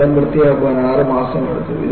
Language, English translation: Malayalam, It took six months to clean up the place